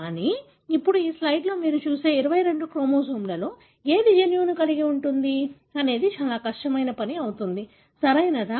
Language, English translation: Telugu, But, now it is going to be a daunting task as to which one of the 22 chromosome that you see in this slide harbours the gene, right